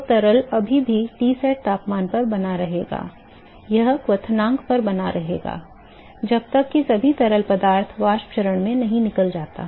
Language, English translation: Hindi, So, liquid is still continue to in Tsat temperature the will continue to be at the boiling point, till all the liquid escapes into the vapor phase ok